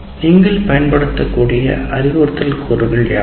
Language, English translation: Tamil, And what are the instructional components that we use